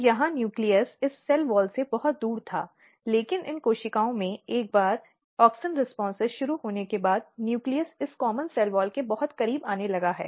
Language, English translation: Hindi, So, here nucleus was very far from the this cell wall, but once auxin has auxin responses has started in these cells, nucleus has started coming very close to this common cell wall